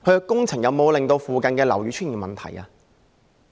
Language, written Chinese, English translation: Cantonese, 工程有否令附近樓宇出現問題？, Has the project caused any problem to the buildings nearby?